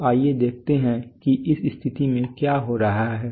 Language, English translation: Hindi, So now let us look at what is happening to this situation, so excuse me